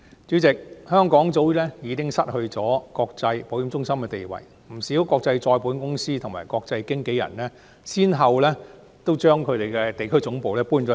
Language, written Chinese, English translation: Cantonese, 主席，香港早已失去國際保險中心的地位，不少國際再保險公司及國際經紀人公司均先後將其地區總部遷往新加坡。, President Hong Kong has long lost its status as an international insurance centre . Many international reinsurance companies and international brokerage firms have relocated their regional headquarters to Singapore one after another